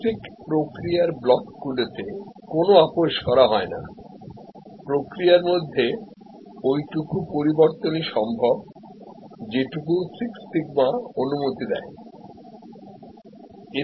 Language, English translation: Bengali, In the basic process blocks, there is no compromise; there is no variation, as little variation as can be possible at six sigma level